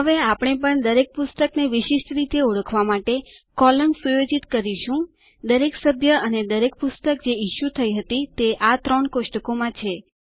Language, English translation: Gujarati, Now we also set up columns to uniquely identify each book, each member and each book issue in these three tables